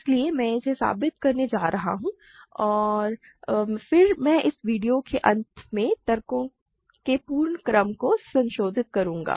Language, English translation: Hindi, So, I am going to prove this and then I will at the end of this video, I will revise the whole sequence of arguments